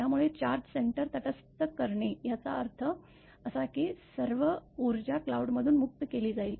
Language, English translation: Marathi, So, neutralizing the charge center so; that means, that because all the energy will be released from the cloud